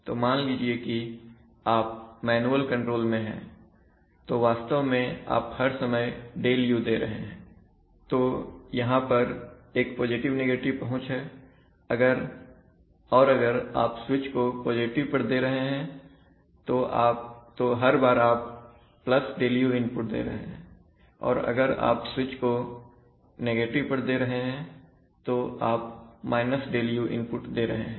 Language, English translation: Hindi, So you see that, this is a clever scheme which avoids that process, so you, suppose you are in manual control, so you are every time, you are actually giving ΔU, so you are maybe there is a plus minus reach and you are flicking the switch to plus so the input is going up every time you are giving positive ΔU if the flicking the switch to minus you are giving the negative ΔU